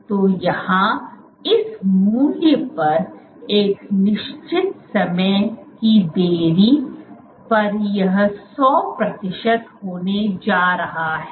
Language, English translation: Hindi, So, here at this value beyond a certain time delay this is going to be 100 percent